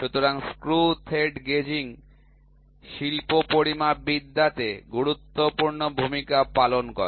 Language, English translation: Bengali, So, screw thread gauging plays a vital role in the industrial metrology